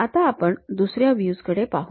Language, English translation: Marathi, Now, let us look at other views